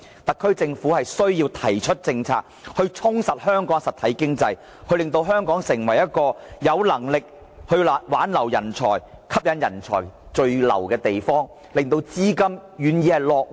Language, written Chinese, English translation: Cantonese, 特區政府必須提出政策，充實香港的實體經濟，令香港能夠挽留人才、吸引人才聚留、令資金願意落戶。, The SAR Government must roll out policies that can strengthen Hong Kongs real economy and enable us to retain and attract both talents and capitals